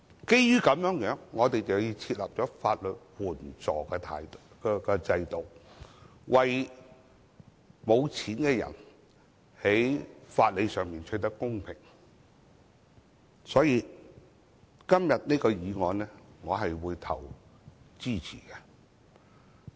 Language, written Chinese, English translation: Cantonese, 因此，我們設立了法援制度，為沒錢的人在法理上取得公平，所以我會支持今天這項議案。, That is why we have put in place the legal aid system to enable people without money to have access to fairness on the basis of legal principles . Thus I support todays motion